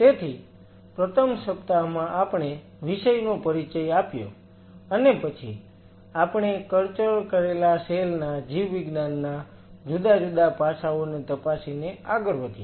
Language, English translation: Gujarati, So, in the first week, we introduced the subject and then we went on exploring the different aspect of the biology of the cultured cells